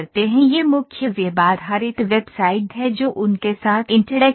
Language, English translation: Hindi, This is the main thing web based website that is interactive with them